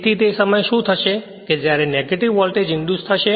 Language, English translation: Gujarati, So, at that time what will happen that when negative voltage will be induced